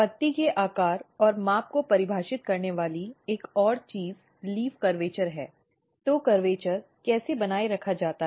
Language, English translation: Hindi, Another things what defines the leaf shape and size is basically curvature or leaf curvature is one important parameter of the leaf